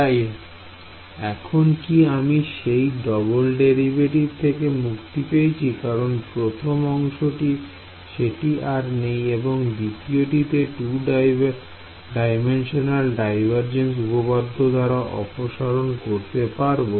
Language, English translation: Bengali, So, have I now escaped let us say double derivative gone right the first term does not have it the second term by using the 2D divergence theorem that is also gone right